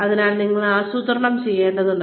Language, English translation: Malayalam, So, you need to plan